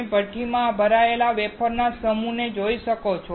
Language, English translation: Gujarati, You can see a set of wafer loaded into the furnace